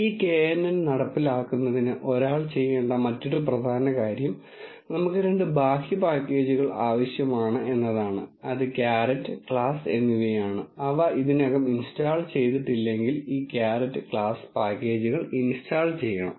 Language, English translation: Malayalam, And another important thing one has to do is, for this knn implementation, we need two external packages which are caret and class, one has to install this caret and class packages if they have not installed it already